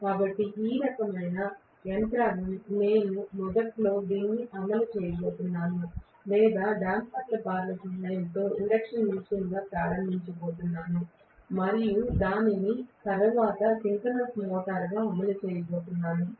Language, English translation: Telugu, So this kind of mechanism where I am going to run it initially or start as an induction machine with the help of damper bars and I am going to run it later as a synchronous motor